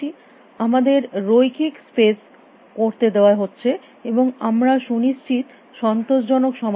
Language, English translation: Bengali, We allowed using linear space and we are guaranteed the solution